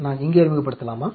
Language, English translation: Tamil, Do I introduce here